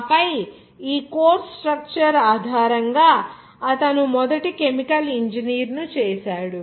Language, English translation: Telugu, And then, based on this course structure, he made the first chemical engineer